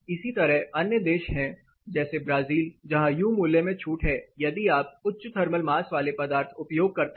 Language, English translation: Hindi, Similarly there are other countries Brazil which also have relaxation in U values if you using thermal mass material